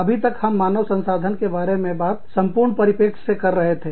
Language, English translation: Hindi, Till now, we were talking about, human resources, from the overall perspective